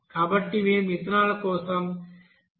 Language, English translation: Telugu, So we can write for ethanol 0